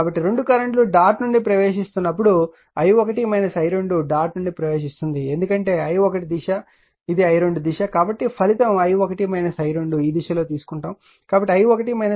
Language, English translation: Telugu, So, as the 2 currents are entering into the dot i1 minus i 2 entering into the because this this direction is i1 this direction is i 2, you have taken the resultant in this directions